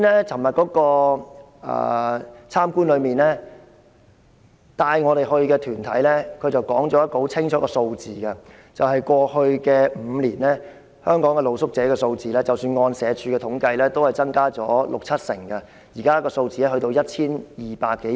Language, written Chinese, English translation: Cantonese, 昨天的探訪活動中，帶領我們探訪的團體說了一個很清楚的數字，就是過去5年，即使按社署的統計，香港的露宿者數字，已增加了六七成，現時的數字達 1,200 多人。, During the visit yesterday the organization leading us to visit the street sleepers highlighted a revealing figure over the past five years the number of street sleepers in Hong Kong has increased by 60 % to 70 % even according to the statistics of SWD with the current number standing at some 1 200